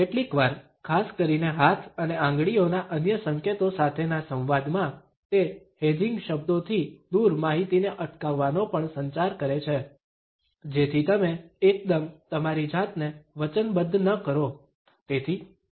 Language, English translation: Gujarati, Sometimes, particularly in consonance with other gestures of hand and fingers, it also communicates indecision withholding of information away of hedging words, so that you do not commit yourself suddenly